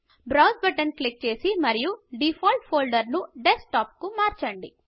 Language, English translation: Telugu, Click the Browse button and change the default folder to Desktop